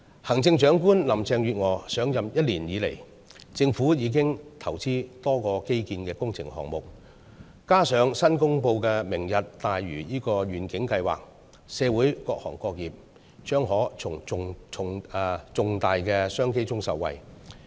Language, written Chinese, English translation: Cantonese, 行政長官林鄭月娥上任一年來，政府已投資多個基建工程項目，再加上新公布的"明日大嶼"計劃，社會各行各業將可從重大商機中受惠。, Over the past year since the Chief Executive Mrs Carrie LAM took office the Government has already invested in a number of infrastructure projects . Together with the newly announced Lantau Tomorrow project they will offer significant business opportunities that benefit all trades and industries in the community